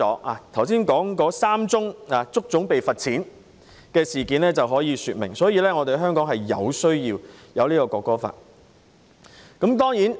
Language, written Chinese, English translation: Cantonese, 我剛才提及的3宗足總被罰款的事件可以說明，香港有需要落實《條例草案》。, The three cases of HKFA being fined I have mentioned just now illustrate that Hong Kong needs to implement the Bill